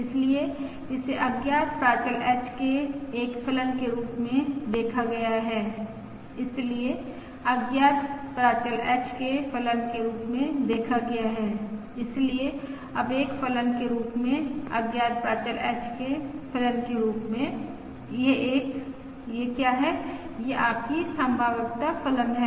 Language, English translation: Hindi, So, viewed as a function of unknown parameter H, so viewed as a function of unknown parameter H, so as now as a function, as a function of the unknown parameter H, this is a